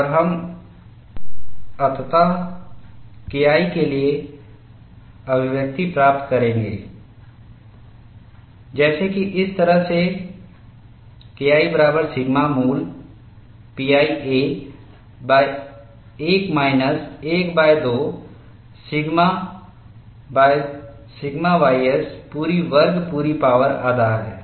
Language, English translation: Hindi, And we would finally get the expression for K 1 as, in this fashion, K 1 equal to sigma root of pi a divided by 1 minus 1 by 2 sigma by sigma ys whole square whole power half